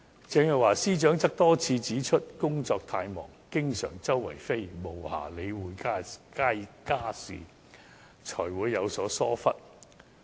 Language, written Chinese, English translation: Cantonese, 鄭若驊司長多次指出，因工作太忙，經常"四處飛"，無暇理會家事，才會有此疏忽。, Secretary for Justice Teresa CHENG also said repeatedly that her hectic work schedule having to fly to different places all the time had left her with no time to take care of household affairs resulting in such negligence